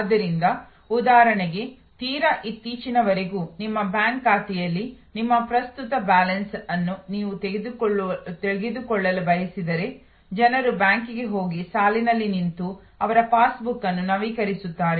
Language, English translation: Kannada, So, for example, if you want to know your current balance at your bank account till very recently people went to the bank and stood in the line and got their passbook updated